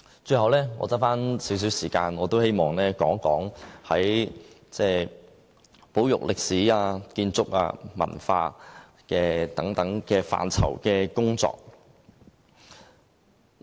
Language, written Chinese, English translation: Cantonese, 最後，餘下少許時間，我也希望談談保育歷史、建築、文化等範疇的工作。, I still have a little time left and I also wish to talk something about the conservation of history buildings and culture